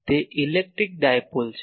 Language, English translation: Gujarati, It is an electric dipole